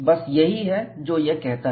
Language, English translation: Hindi, And that is what is mentioned here